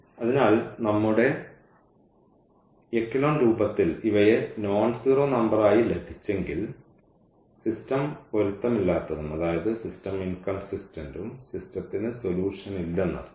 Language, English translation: Malayalam, So, if in our echelon form we got these as nonzero number, then the system is inconsistent and meaning that the system has no solution